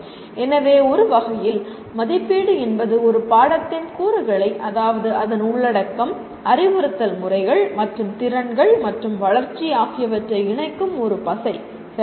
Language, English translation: Tamil, So in a way assessment is a glue that links the components of a course, that is its content, instructional methods and skills and development, okay